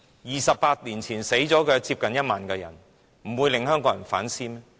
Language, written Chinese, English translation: Cantonese, 二十八年前的六四死了接近1萬人，能不令香港人反思嗎？, In the 4 June incident 28 years ago almost 10 000 people lost their lives . Could this not make Hong Kong people reflect?